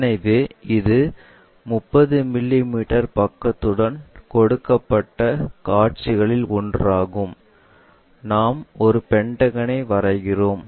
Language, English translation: Tamil, So, this is one of the view given with 30 mm side, we draw a pentagon